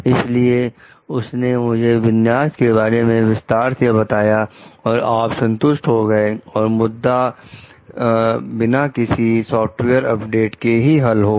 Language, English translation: Hindi, He described the configuration to you in detail and you were satisfied that the issue was solved and without the need to update your software